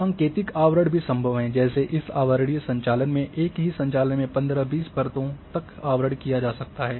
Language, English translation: Hindi, Index overlay is also possible like here in this overlay operations one can overlay up to 15 20 layers in a single operation